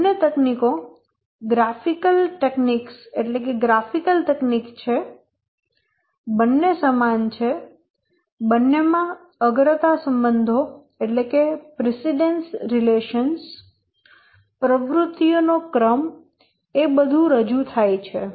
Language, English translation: Gujarati, Both the techniques, they are graphical techniques, they are similar precedence relations, the sequence of activities, these are all represented here